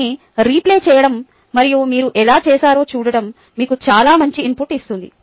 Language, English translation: Telugu, replaying that and seeing how you have done gives you a very good input